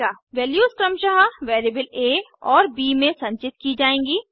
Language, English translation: Hindi, The values will be stored in variable a and b, respectively